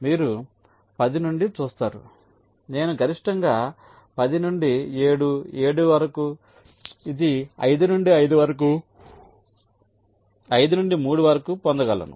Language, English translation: Telugu, you see, from ten i can get a maximum path ten to seven, seven to this, this to five, five to three